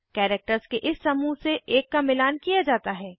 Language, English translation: Hindi, One out of this group of characters is matched